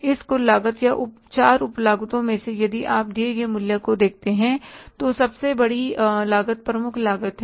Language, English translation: Hindi, Out of this total cost or the four sub costs, if you look at the value given, prime cost is the biggest one